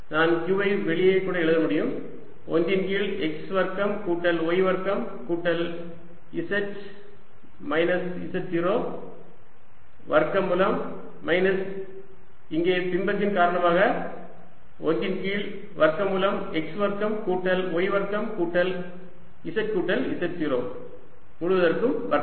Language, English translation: Tamil, i can even write q outside, one over x square plus y square plus z minus z, naught square square root minus, and that's due to image one over square root of x square plus y square plus z plus z, naught whole square